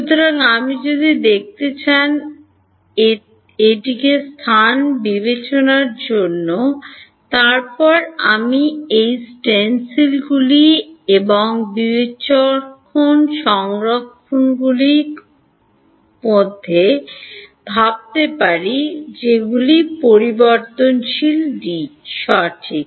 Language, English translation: Bengali, So, if I want to look at it in discretize space then I have to think of these stencils and discretized versions of which variable D right